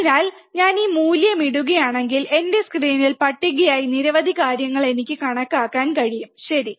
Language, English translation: Malayalam, So, then if I put this value I can calculate lot of things on my screen which is the table, right